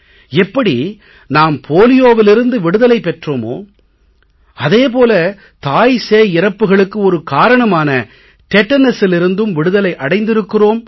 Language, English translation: Tamil, Like we became polio free similarly we became free from tetanus as a cause of maternal and child mortality